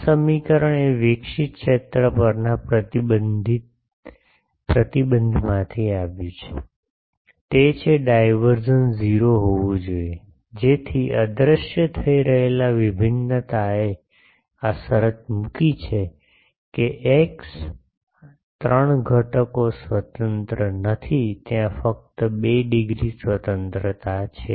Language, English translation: Gujarati, This equation came from that the restriction on the radiated field; that is divergence should be 0, so that vanishing divergence put this condition that x, three components are not independent actually there is only 2 degrees of freedom there ok